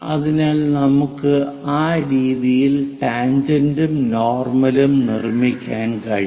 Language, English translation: Malayalam, So, a tangent and normal, one can construct it in that way